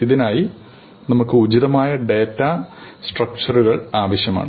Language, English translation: Malayalam, For this, we need appropriate data structures